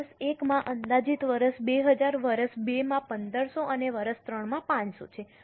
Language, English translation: Gujarati, In year 1,000, year 2,000, year 2,000, 1,500 and year 3 500